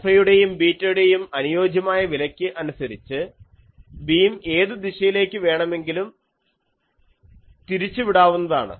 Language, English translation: Malayalam, For suitable values of alpha and beta, the beam can be directed in any direction